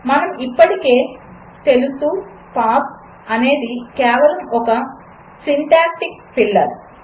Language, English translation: Telugu, As we already know, pass is just a syntactic filler